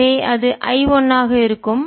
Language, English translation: Tamil, so that will be i one